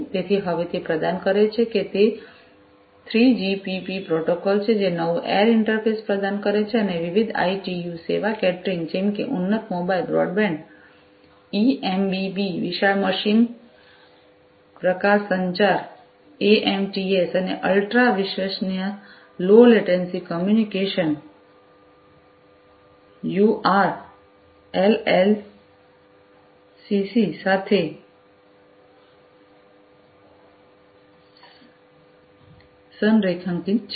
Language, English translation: Gujarati, So, now it provides it is a 3GPP protocol, which provides new air interface and is aligned with different ITU service categories such as the enhanced mobile broadband, eMBB, massive machine type communication, mMTC and ultra reliable low latency communication, uRLLCC